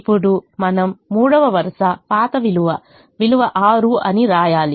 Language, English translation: Telugu, now we have to write the third row, the old value